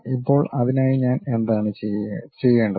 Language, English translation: Malayalam, Now, for that what I have to do